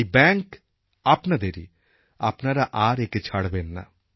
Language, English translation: Bengali, These are your banks and now you should never leave them